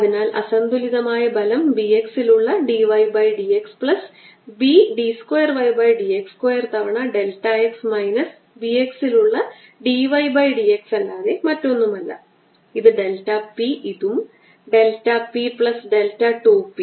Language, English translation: Malayalam, so unbalance force is going to be this pressure here at the left, delta p out adds to the right and therefore unbalance force is going to be b d y by d x plus d d two y by d x square delta x minus b d y by d x f x